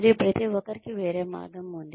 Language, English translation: Telugu, And, everybody has a different way